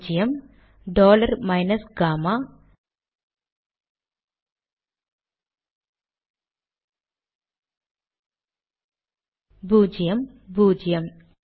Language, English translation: Tamil, Zero, dollar minus gamma, zero, zero